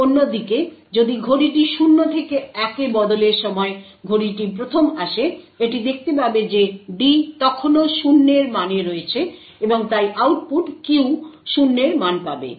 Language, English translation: Bengali, On the other hand, if the clock in fact has arrived 1st when the clock transitions from 0 to 1, it would see that the D is still at the value of 0 and therefore the output Q would obtain a value of 0